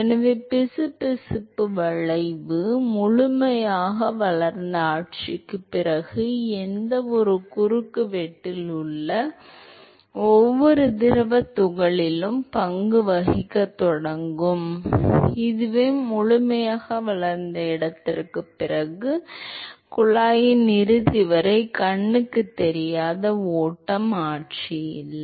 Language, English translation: Tamil, So, the viscous effect will start playing the role at every fluid particle in any cross section after the fully developed regime, so there is no invisid flow regime after the fully developed location all the way to the end of the tube